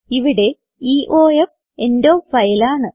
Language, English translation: Malayalam, Here, EOF is the end of file